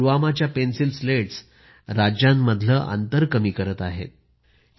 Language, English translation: Marathi, In fact, these Pencil Slats of Pulwama are reducing the gaps between states